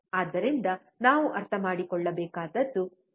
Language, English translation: Kannada, So, this is how we have to understand